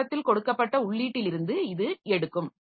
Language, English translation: Tamil, So, it takes from the input that is given at the beginning